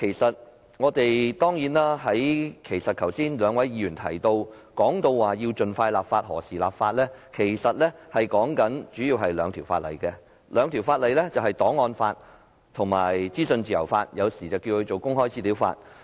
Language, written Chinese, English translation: Cantonese, 剛才兩位議員皆提到需要盡快立法及何時立法的問題，他們主要提述了兩項法例，即檔案法和資訊自由法，而後者通常稱為公開資料法。, The two Members have mentioned the need to expedite law enactment and asked when the legislation would be enacted . They mainly refer to two piece of legislation the archives law and the legislation on freedom of information the latter is commonly known as the legislation on access to information